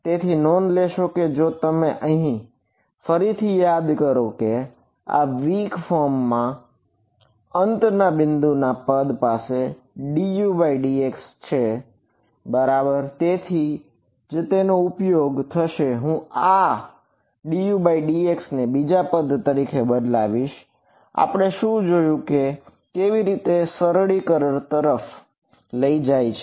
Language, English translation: Gujarati, So, you notice if you recall over here this in the weak form the endpoints term has a d U by d x right that is why this is going to be useful I will substitute this d U by d x in terms of this other term over here we will see how it leads to simplifications